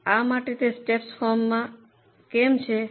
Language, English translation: Gujarati, Why it is in a step form